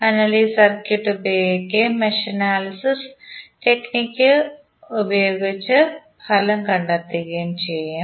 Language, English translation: Malayalam, So, we will use this circuit and try to apply the mesh analysis technique and find out the result